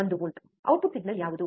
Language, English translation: Kannada, 1 volt, what was the output signal